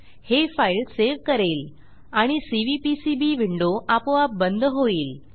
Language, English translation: Marathi, This will save the file and also close the Cvpcb window automatically